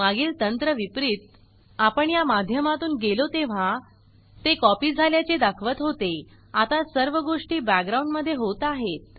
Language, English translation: Marathi, Unlike the previous technique, that is when we went through this, that it showed the copying and so on, now the whole thing happens in the background